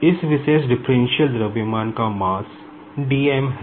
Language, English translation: Hindi, Now, here, the mass of this particular differential mass is dm